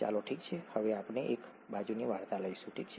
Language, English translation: Gujarati, Let us, okay, we will take a side story now, okay